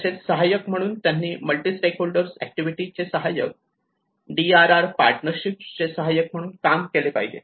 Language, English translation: Marathi, As coordinators, so they are coordinators of multi stakeholder activities and DRR partnerships